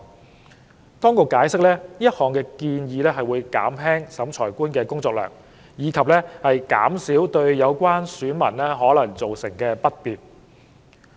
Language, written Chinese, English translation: Cantonese, 政府當局解釋，此項建議會減輕審裁官的工作量，以及減少對有關選民可能造成的不便。, The Administration has explained that this proposal would alleviate the workload of the Revising Officer and reduce possible inconvenience caused to the electors concerned